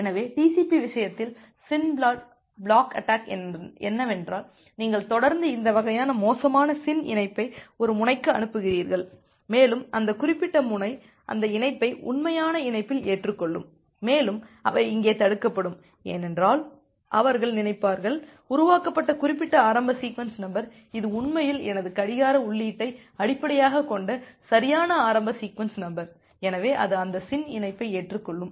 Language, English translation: Tamil, So, in case of TCP the SYN flood attack is that you are continuously sending this kind of spurious SYN connection to a node and that particular node will accept those connection at a genuine connection and they will get blocked here, because, they will think of that that particular initial sequence number which is been generated, it is it is indeed a correct initial sequence number based on my clock input, so it will accept those SYN connection